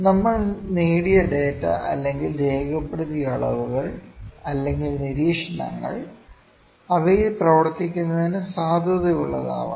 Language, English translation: Malayalam, The data or the readings or the observations that we have gained or that we have obtained are to be valid to work on them